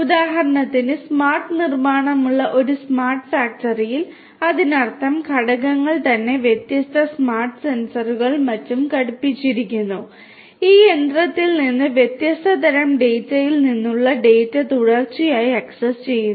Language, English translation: Malayalam, For example, in a smart factory in a smart factory where there is smart manufacturing; that means, the equipments themselves are fitted with different smart sensors and so on, which continuously access the data from data of different types from this machinery